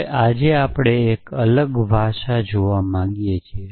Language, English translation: Gujarati, Now, today, we want to look at a different language